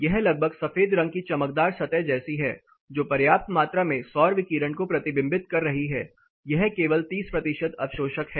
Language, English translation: Hindi, That it is more or less is white painted glossy surface which is reflecting enough amount of solar it is only, 30 percent absorptive